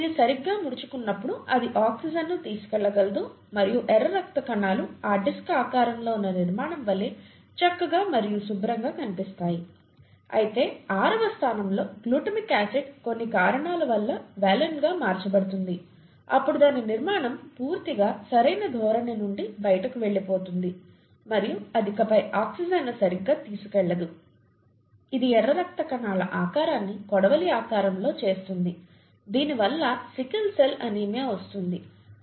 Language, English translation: Telugu, And if the appropriate folding of the haemoglobin chain leads to the haemoglobin protein when it folds properly, then it is able to carry oxygen and the red blood cells looks nice and clean like this disc shaped structure, whereas if in the sixth position the glutamic acid gets changed to valine for some reason, then the structure entirely goes out of proper orientation and it is no longer able to carry oxygen properly, not just that it makes the shape of the red blood cells sickle shaped, and we get sickle cell anaemia because of this